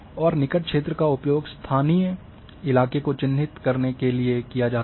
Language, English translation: Hindi, And neighbourhood is used to characterize local terrain